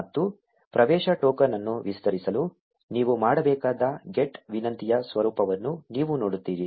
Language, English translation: Kannada, And you will see the format of the GET request that you need to make to extend the access token